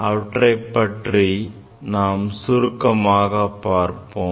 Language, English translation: Tamil, Let me just discuss them briefly